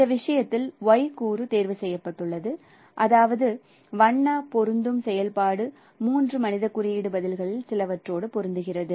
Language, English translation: Tamil, And in this case, why was chosen such that the color matching function matches the sum of the three human code responses